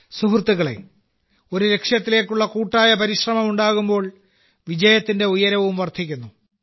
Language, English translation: Malayalam, Friends, when there is a collective effort towards a goal, the level of success also rises higher